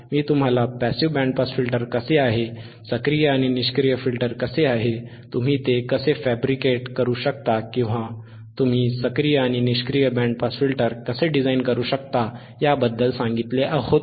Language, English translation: Marathi, I had told you about how the passive band pass filter is, I had told you how the active and pass filter is, I had told you how you can how you can fabricate or how you can design the active and passive band pass filters